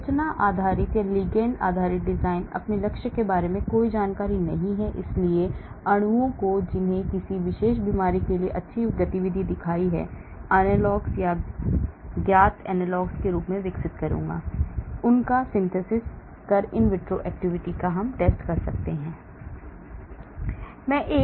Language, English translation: Hindi, the structure based or ligand based design, I have no idea about my target, so I will look at molecules, which I have shown good activity towards a particular disease then I will develop analogs , known analogs, I may synthesise them, I may test their in vitro activity